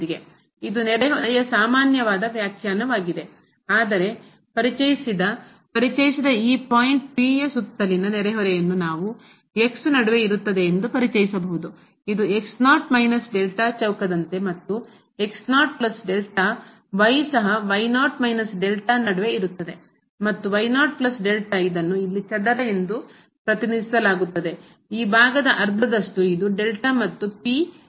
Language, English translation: Kannada, This is the most common definition for the neighborhood, but we can also introduce neighborhood as the square around this point P introduced by the which lies between minus delta and the plus delta; also lies between minus delta and plus delta and this is represented by this is square here, with this half of the side is this delta and the P is the point